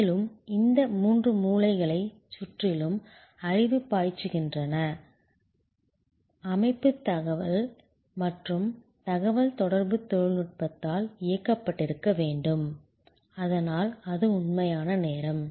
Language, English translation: Tamil, And the system that flow of knowledge around these three corners must be enabled by good information and communication technology, so that it is real time